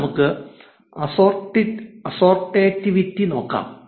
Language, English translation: Malayalam, Now, let us look at assortativity